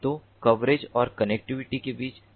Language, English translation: Hindi, so there is a relationship between the coverage and connectivity